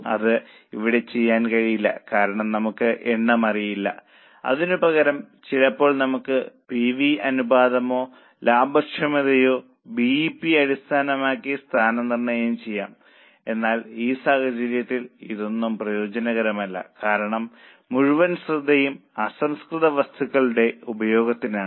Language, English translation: Malayalam, That can't be done here because we don't know number of years instead of that sometimes we can rank based on PV ratio or on profitability or on DEP but in this case none of this is useful because the whole focus in on utilisation of raw material so we should find that product where our raw material utilization is more efficient or more profitable